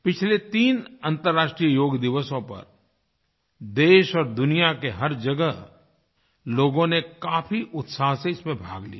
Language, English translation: Hindi, On the previous three International Yoga Days, people in our country and people all over the world participated with great zeal and enthusiasm